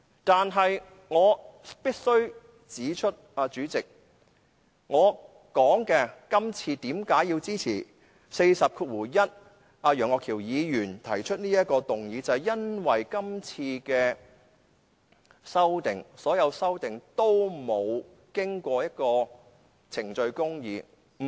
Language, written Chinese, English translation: Cantonese, 但是，主席，我必須指出，我支持楊岳橋議員根據《規事規則》第401條提出的這項議案，就是因為今次的修訂建議——所有修訂建議——都欠缺程序公義。, Nevertheless President I must point out that I support the motion proposed by Mr Alvin YEUNG under RoP 401 exactly because the proposed amendments―all the proposed amendments―lack procedural justice